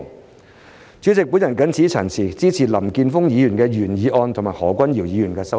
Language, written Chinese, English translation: Cantonese, 代理主席，我謹此陳辭，支持林健鋒議員的原議案和何君堯議員的修正案。, Deputy President with these remarks I support the original motion of Mr Jeffrey LAM and the amendment of Dr Junius HO